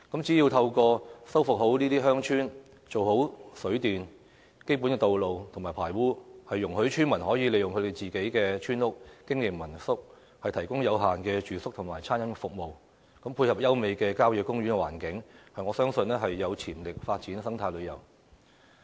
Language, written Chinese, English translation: Cantonese, 只要修復好這些鄉村，做好水電、基本的道路及排污，容許村民可以利用自己的村屋經營民宿，提供有限的住宿及餐飲服務，配合優美的郊野公園環境，我相信有潛力發展生態旅遊。, If we can restore such villages provide water supply and power generation facilities undertake basic road and drainage works projects and allow villagers to use their own houses to operate homestay lodgings to provide limited accommodation and catering services I believe there are potentials to develop eco - tourism given the beautiful environment of country parks